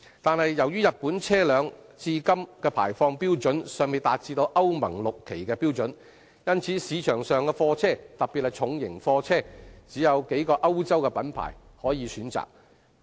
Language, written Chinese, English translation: Cantonese, 不過，由於日本車輛至今的排放標準尚未達致歐盟 VI 期的標準。因此，市場上的貨車，只有數個歐洲品牌可供選擇。, Nevertheless as the emissions from Japanese vehicles have yet to meet the Euro XI standards only a few choices of European makes particularly heavy goods vehicles were available in the market